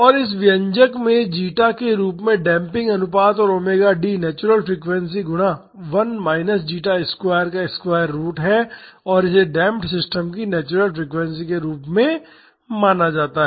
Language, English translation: Hindi, And, in this expression zeta as the damping ratio and omega D is the natural frequency times square root of 1 minus zeta square and this is known as the natural frequency of the damped system